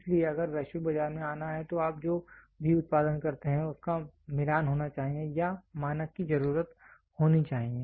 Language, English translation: Hindi, So if has to be into the global market then whatever you produce should match or should need a standard